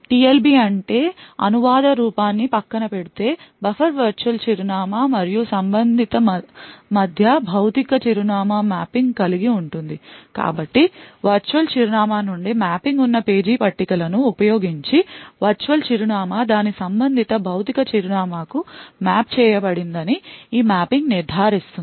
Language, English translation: Telugu, The TLB stands for the translation look aside buffer has a mapping between the virtual address and the corresponding physical address so this mapping will ensure that once a virtual address is mapped to its corresponding physical address using the page tables that are present that mapping from virtual address to physical address is stored in the TLB